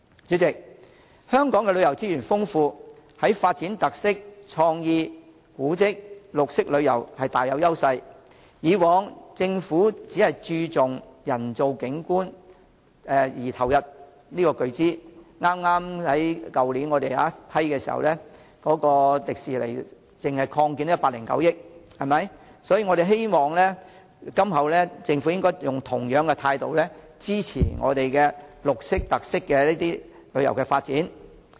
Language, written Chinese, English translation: Cantonese, 主席，香港旅遊資源豐富，在發展特色、創意、古蹟、綠色旅遊大有優勢，以往政府只注重人造景點並投入巨資——去年我們就香港迪士尼樂園擴建批出撥款109億元——希望今後政府以同樣態度支持綠色、特色旅遊的發展。, President despite the abundant tourism resources in Hong Kong and its great advantages for developing featured tourism creative tourism heritage tourism and green tourism the Government merely focused on man - made tourist attractions in the past and invested heavily in these attractions . Last year we approved a provision of 10.9 billion for the expansion of the Hong Kong Disneyland . I hope that the Government will adopt the same attitude in the future to support the development of green tourism and featured tourism